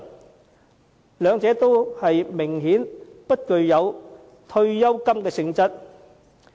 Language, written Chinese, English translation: Cantonese, 明顯地，兩者均不具有退休金的性質。, Obviously neither of them has the nature of a provident fund